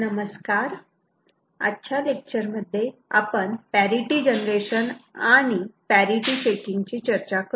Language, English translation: Marathi, In today’s class, we shall discuss Parity Generation and Parity Checking